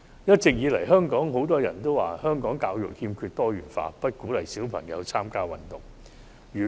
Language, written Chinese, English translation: Cantonese, 一直以來，香港很多人都說香港教育不夠多元化，不鼓勵小朋友參加運動。, Many in Hong Kong have long criticized Hong Kongs education for a lack of diversity and failure to encourage children to participate in sports